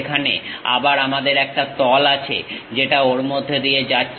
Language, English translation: Bengali, There again we have a plane which is passing through that